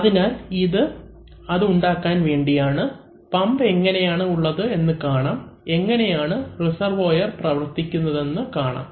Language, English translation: Malayalam, So, this is just to create that, so this just shows that how the pump is, how the reservoir does its job